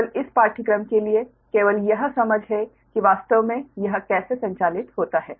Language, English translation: Hindi, right only for this course is only this understanding that how actually it operates